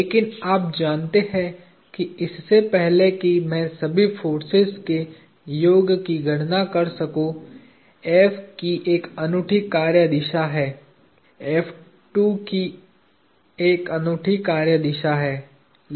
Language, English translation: Hindi, But you know before I can compute the summation of all the forces, F has a unique line of action; F2 has a unique line of action